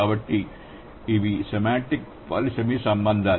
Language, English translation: Telugu, So, these are the semantic polysemous relations